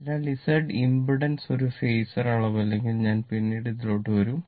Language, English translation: Malayalam, So, if Z impedance is not a phasor quantity, I will come later right